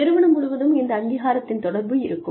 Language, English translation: Tamil, And then, communication of this recognition, throughout the organization